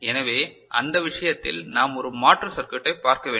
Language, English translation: Tamil, So, in that case we need to look at an alternative circuit